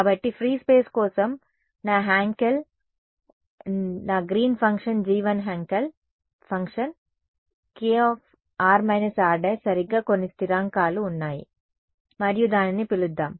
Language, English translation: Telugu, So, for free space what was my Hankel my Green’s function G 1 was of the form Hankel function of k r minus r prime right some constants were there and let us call it